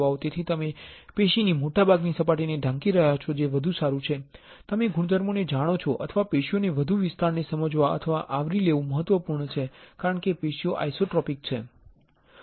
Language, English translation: Gujarati, So, you are covering most of the surface of the tissue which is a better you know properties or it is important to understand or cover more area of tissue because the tissue is an isotropic um